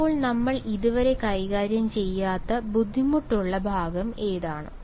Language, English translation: Malayalam, So, what is the difficult part we are not yet handled